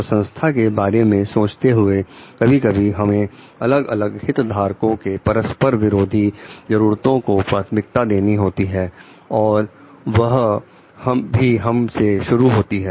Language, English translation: Hindi, So, in that thinking about the organization sometimes we have to prioritize our like the conflicting needs of the different stakeholders also starting from oneself